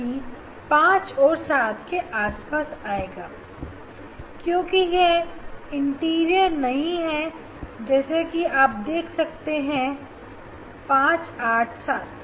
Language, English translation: Hindi, it should come around a 5 or 7 because it is not the integer you may see 5 or you may see 7